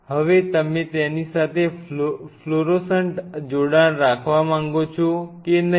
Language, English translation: Gujarati, Now whether you wanted to have a fluorescent attachment with it not